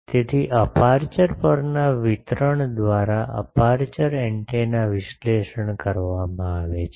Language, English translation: Gujarati, So, aperture antennas are analyzed by the field distribution on the aperture